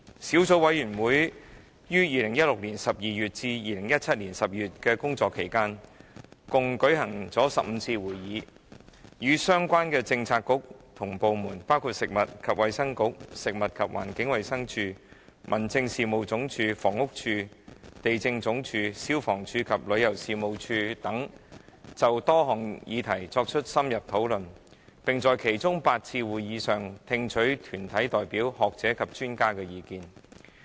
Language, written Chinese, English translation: Cantonese, 小組委員會於2016年12月至2017年12月的工作期間共舉行15次會議，與相關的政策局及部門，包括食物及衞生局、食物環境衞生署、民政事務總署、房屋署、地政總署、消防處及旅遊事務署等，就多項議題作出深入討論，並在其中8次會議上，聽取團體代表、學者及專家的意見。, During its operation between December 2016 and December 2017 the Subcommittee has held a total of 15 meetings with the relevant Policy Bureaux and departments including the Food and Health Bureau Food and Environmental Hygiene Department Home Affairs Department Housing Department Lands Department Fire Services Department and Tourism Commission to have in - depth discussions on various issues . During eight of the meetings the Subcommittee also received views from deputations academics and experts